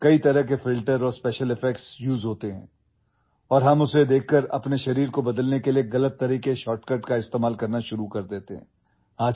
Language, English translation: Urdu, Many types of filters and special effects are used and after seeing them, we start using wrong shortcuts to change our body